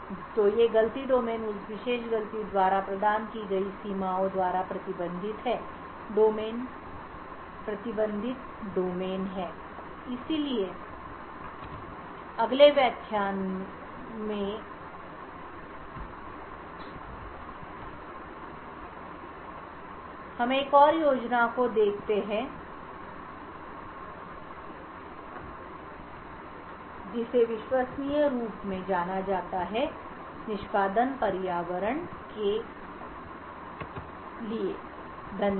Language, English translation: Hindi, So these fault domains are restricted by the boundaries provided by that particular fault domain, so in the next lecture we look at another scheme which is known as trusted execution environment, thank you